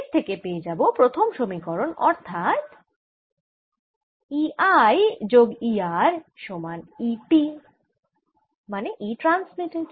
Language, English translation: Bengali, and this gives me the first equation, which is e r i plus e r is equal to e transmitted